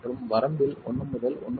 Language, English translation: Tamil, And in the range 1 to 1